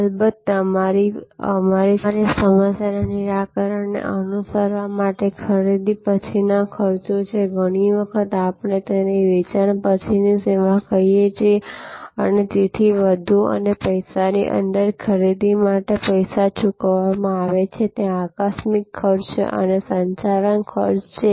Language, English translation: Gujarati, And then, there are of course post purchase cost with respect to follow our problem solving, often we call this after sale service and so on and within money, there is a money paid for the purchase, there are incidental expenses and there are operating costs